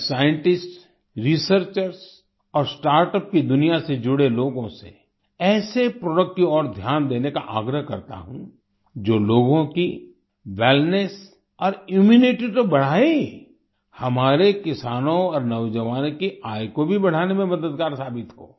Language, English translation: Hindi, I urge scientists, researchers and people associated with the startup world to pay attention to such products, which not only increase the wellness and immunity of the people, but also help in increasing the income of our farmers and youth